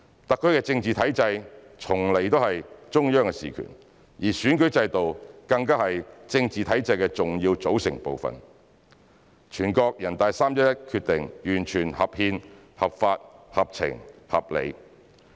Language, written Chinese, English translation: Cantonese, 特區的政治體制從來都是中央事權，而選舉制度更加是政治體制的重要組成部分，全國人大的《決定》完全合憲、合法、合情、合理。, As the political structure of SAR of which the electoral system is an essential component is the prerogative of the Central Authorities NPCs Decision was fully constitutional legal sensible and reasonable